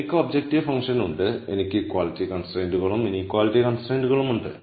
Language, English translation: Malayalam, So, I have the objective function, I have m equality constraints and l inequality constraints